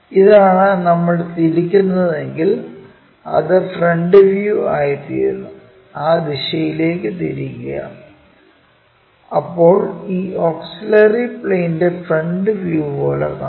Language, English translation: Malayalam, This is the plane if we are rotating it then that becomes the front view, rotate it in that direction then we will see that is as the frontal view of this auxiliary plane